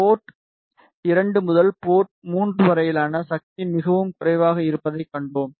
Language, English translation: Tamil, And we saw that the power from port 2 to port 3 is very less